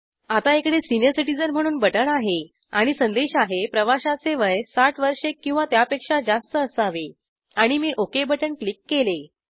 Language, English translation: Marathi, So it gives us button senior citizen and i get the message That passengers age should be 60 years or more i say okay